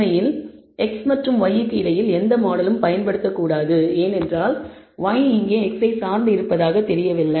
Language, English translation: Tamil, In fact, no model should be used between x and y, because y does not seem to be dependent on x here